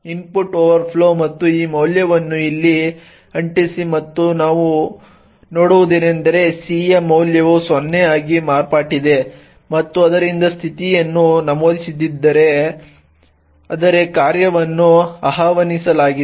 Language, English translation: Kannada, So, let us give this as input overflow and paste this value here and what we see is that the value of C indeed has become 0 and therefore this if condition has not entered but rather function has being been invoked